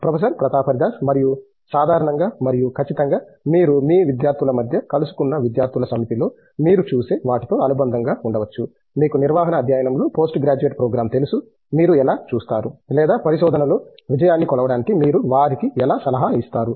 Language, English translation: Telugu, And ok in general and certainly maybe in association with what you see in the set of students that you meet during your you know post graduate program in management studies, how do you see or how will you advise them to measure success in research